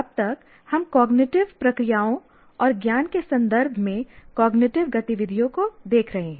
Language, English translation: Hindi, Till now, we have been looking at cognitive activities in terms of cognitive processes and knowledge